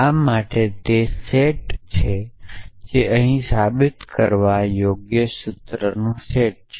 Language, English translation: Gujarati, This is a set of I should write it here set of provable formulas